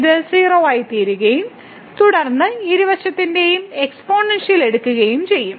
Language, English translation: Malayalam, So, this will become 0 and then taking the exponential of both the sides